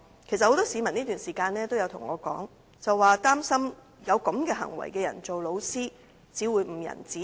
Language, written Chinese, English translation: Cantonese, 其實，很多市民在這段期間都對我說，他們擔心有這種行為的人任職教師只會誤人子弟。, In fact many members of the public have in this period of time conveyed to me their worries that if people behaving in such a way are teachers they would only do harm to the young generation